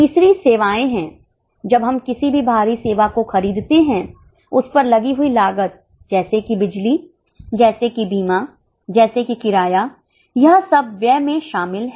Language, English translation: Hindi, So, when we purchase any outside service, the cost incurred on the same like electricity, like insurance, like rent, that is all included in the expense